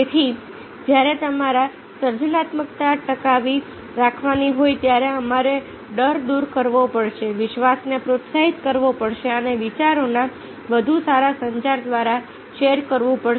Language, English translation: Gujarati, so therefore, when you are to sustain creativity, we have to remove fear, encourage trust and sharing, through better communication, the ideas